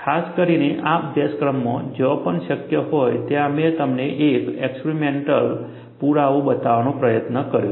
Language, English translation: Gujarati, Particularly, in this course, wherever possible, I have tried to show you an experimental evidence